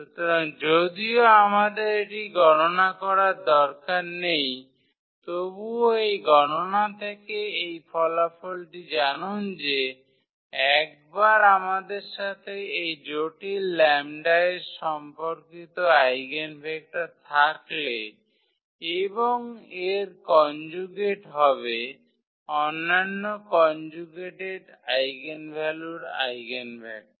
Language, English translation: Bengali, So, indeed we do not have to compute this since we know this result from this calculation that once we have eigenvector corresponding to one complex value of this lambda and its conjugate will be will be the eigenvector of the other conjugate eigenvalue